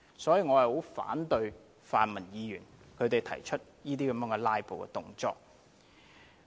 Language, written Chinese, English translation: Cantonese, 所以，我十分反對泛民議員作出這些"拉布"動作。, For this reason I oppose the filibuster staged by pan - democratic Members